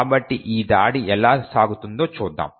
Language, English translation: Telugu, So, let us see how this attack proceeds